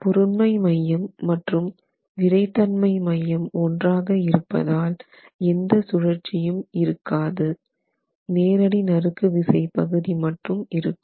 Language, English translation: Tamil, Since the center of mass and the center of stiffness coincide, I do not have any rotation expected in the flow and you have only a direct shear component